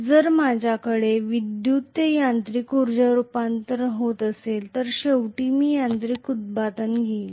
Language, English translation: Marathi, So if I am having electrical to mechanical energy conversion, I am going to have the mechanical output ultimately